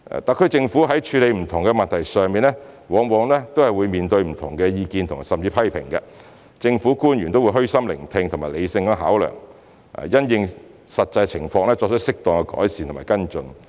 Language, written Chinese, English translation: Cantonese, 特區政府在處理不同的問題上，往往會面對不同的意見甚至批評，政府官員都會虛心聆聽和理性考量，並因應實際情況作出適當改善和跟進。, The SAR Government may come across different opinions or even criticism when handling different issues . By listening humbly to them and taking them into account rationally government officials make improvement and take follow - up actions based on actual situations